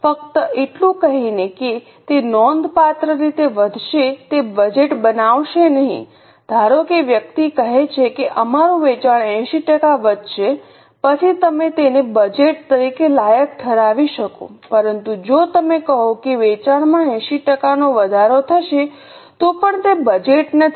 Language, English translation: Gujarati, Suppose the person says that our sales will increase by 80% then you can qualify it as a budget but just if you say the sales will increase by 80% still it's not a budget